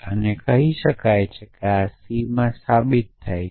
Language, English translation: Gujarati, So, we can say yes c is provable in to